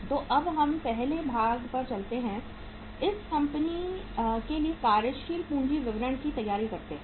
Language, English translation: Hindi, So now let us move to the first part that is the preparation of your working capital statement for this company